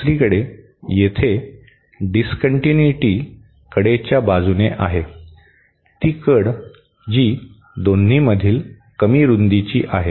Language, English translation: Marathi, On the other hand, here the discontinuity is along the edge, along the edge which is the lesser width of the 2